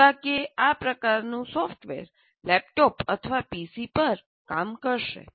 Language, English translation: Gujarati, Unfortunately, this kind of software will work on a laptop or a PC